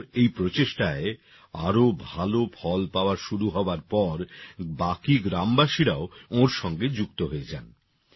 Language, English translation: Bengali, When his efforts started yielding better results, the villagers also joined him